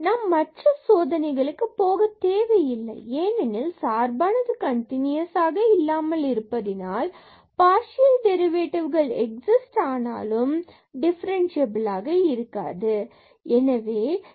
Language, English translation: Tamil, We do not have to go for any other test for differentiability because the function is not continuous though the partial derivatives exist in this case